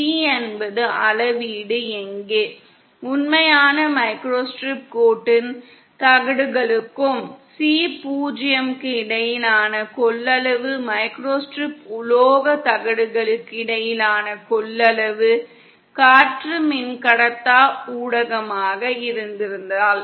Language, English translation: Tamil, Where C is the measure, capacitance between the plates of the actual microstrip line and C 0 is the capacitance between the microstrip metal plates, had air been the dielectric medium